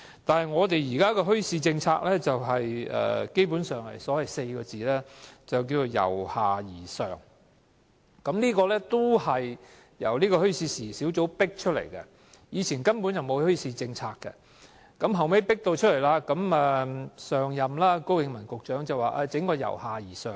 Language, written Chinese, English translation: Cantonese, 但我們的現行墟市政策基本上只有4個字，就是"由下而上"，而這也是由小組委員會迫出來的，以前根本沒有墟市政策，後來有了這項政策後，前任局長高永文提出推行由下而上的政策。, However the current bazaar policy is basically a bottom - up policy . This policy is formulated by the Government under the pressure of the Subcommittee as there was no bazaar policy in the past . After the formulation of such a policy the former Secretary Dr KO Wing - man proposed that the bottom - up approach should be adopted